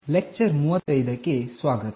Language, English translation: Kannada, Welcome to lecture 35